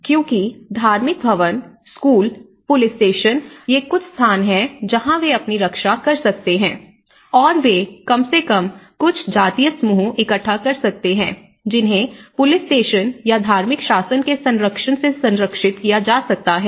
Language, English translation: Hindi, Because the religious buildings, the schools, the police stations, these are some place where they can protect themselves and they can gather at least certain ethnic group can be protected with the protection of police station or the religious governance